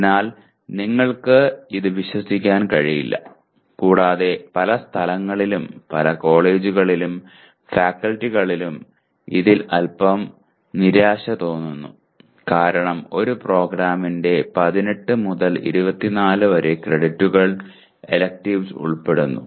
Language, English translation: Malayalam, So you cannot count that and many places, many colleges and faculty feel a little disappointed with this because electives do constitute anywhere from 18 to 24 credits of a program